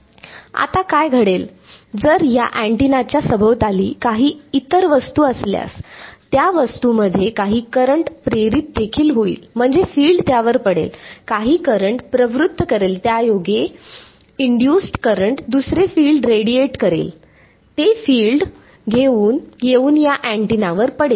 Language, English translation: Marathi, Now, what happens if there is some other object in the vicinity of this antenna, that object will also have some current induced, I mean the field will fall on it, induce some current that induced current in turn will radiate another field, that field will come and fall on this antenna